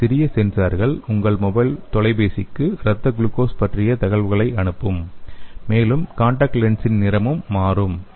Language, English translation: Tamil, This tiny sensors will send the information about the blood glucose to your mobile phone and also the color of the contact lenses also gets changed